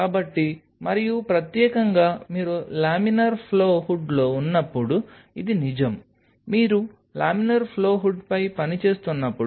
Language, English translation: Telugu, So, and specially this holds true when you are on the laminar flow hood; when you are working on the laminar flow hood